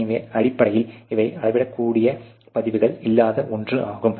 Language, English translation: Tamil, So, basically these are something which there is no measurable pieces of recording you know